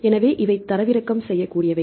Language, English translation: Tamil, So, these are downloadable